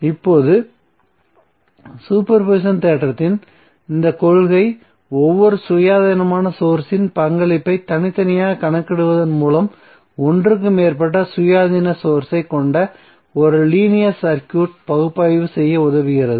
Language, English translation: Tamil, Now this principle of super position theorem helps us to analyze a linear circuit with more than one independent source by calculating the contribution of each independent source separately